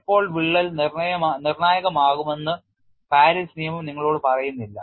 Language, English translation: Malayalam, As such Paris law does not tell you when the crack becomes critical